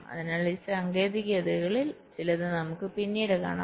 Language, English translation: Malayalam, so we shall see some of these techniques later